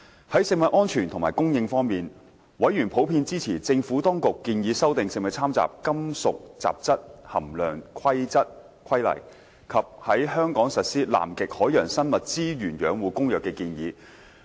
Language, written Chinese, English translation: Cantonese, 在食物安全及供應方面，委員普遍支持政府當局建議修訂《食物攙雜規例》及在香港實施《南極海洋生物資源養護公約》的建議。, In respect of food safety and supply members generally supported the Administrations proposal to amend the Food Adulteration Regulations and the proposed implementation of the Convention on the Conservation of Antarctic Marine Living Resources in Hong Kong